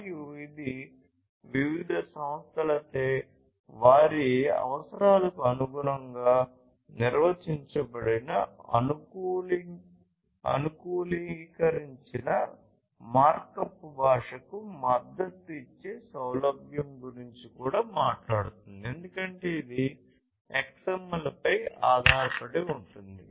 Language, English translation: Telugu, And, it also talks about the advantage of having the advantage of flexibility which is basically supporting customized markup language defined by different organizations according to their needs, because it is based on XML